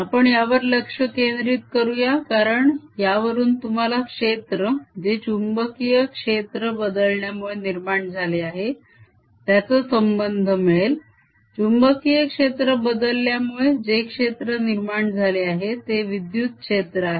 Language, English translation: Marathi, we want to focus on this because this gives you a relationship between of field which is generated due to change in magnetic fields, of field which is due to is generated is the electric field due to change in magnetic field